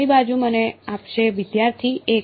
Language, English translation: Gujarati, Right hand side will give me 1